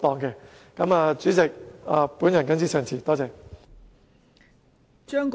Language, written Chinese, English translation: Cantonese, 代理主席，我謹此陳辭，多謝。, Deputy President I so submit . Thank you